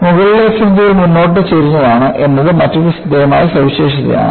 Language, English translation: Malayalam, The other striking feature is the fringes in the top are tilted forward